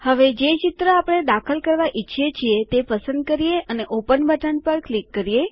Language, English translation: Gujarati, Now choose the picture we want to insert and click on the Open button